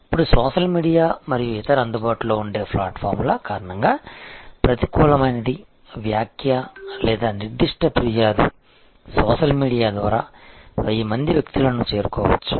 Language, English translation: Telugu, And now, because of social media and other such easily available platforms, a negative comment or a specific complaint can reach 1000s of people through the social media